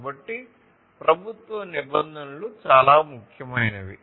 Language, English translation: Telugu, So, government regulations are very important